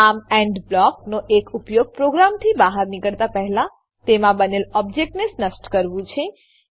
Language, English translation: Gujarati, So, one use of END block is to destroy objects created in the program, before exiting